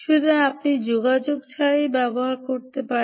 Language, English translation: Bengali, so you can use non contact